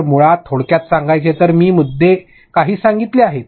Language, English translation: Marathi, So, basically to summarize I have just said a few pointers